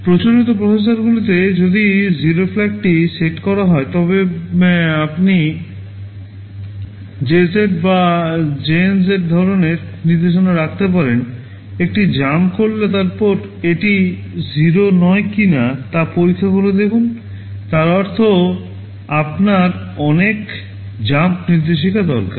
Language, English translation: Bengali, Well Iinn conventional processors if the 0 flag is set you can have a jump if 0 jump if non 0 zeroJZ or JNZ kind of instructions, you do a jump then check if it is not 0, then add a draw is do not addand so on; that means, you need so many jump instructions